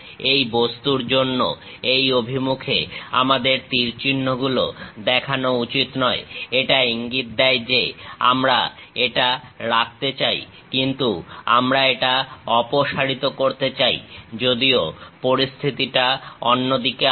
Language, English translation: Bengali, We should not show arrows in this direction for this object; it indicates that we want to retain this, but we want to remove it, whereas the case is the other way around